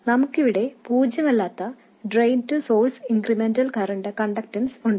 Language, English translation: Malayalam, We have a non zero drain to source incremental conductance